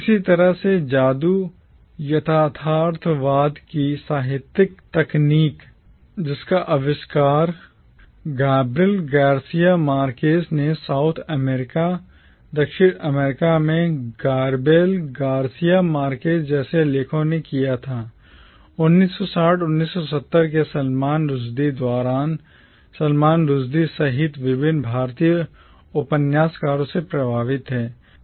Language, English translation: Hindi, Similarly the literary technique of magic realism which was invented by authors like Gabriel Garcia Marquez in South America during the 1960’s and 1970’s influenced various Indian novelists including Salman Rushdie